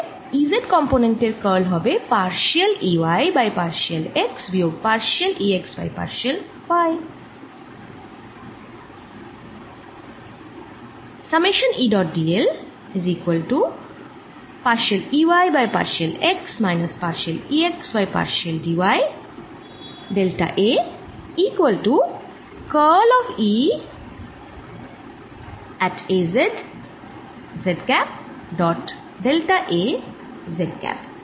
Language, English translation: Bengali, ok, so curl of e z component comes out to be partial e y over partial x, minus partial e x over partial y